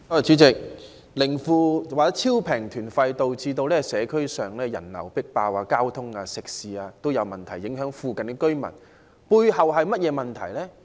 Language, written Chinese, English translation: Cantonese, 主席，"零負"或超低價團費導致社區人流"迫爆"，交通、食肆各方面都出現問題，影響附近的居民，背後是甚麼問題呢？, President the emergence of zero - fare tour groups minus - fare tour groups or extremely low - fare tour groups has led to jam - packed streets in the district affecting the residents living nearby by bringing about traffic problems and crammed eateries . What is the problem behind these tour groups?